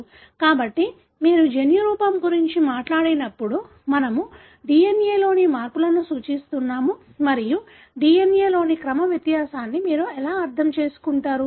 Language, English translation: Telugu, So, when you talk about genotype, we are referring to changes in the DNA and how would you understand the sequence difference in the DNA